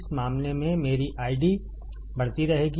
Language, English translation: Hindi, My I D will keep on increasing in this case